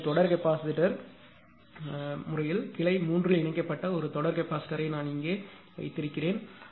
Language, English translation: Tamil, Now what per in the case of series capacitor I have made a series capacitor connected in branch 3 that is here only here only righ